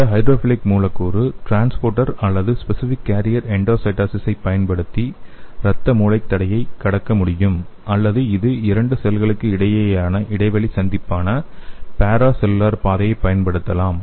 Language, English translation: Tamil, So you can see here this hydrophilic molecules can cross the blood brain barrier using this transporter or specific carrier endocytosis or it can use the para cellular pathway that is the gap junction between the two cells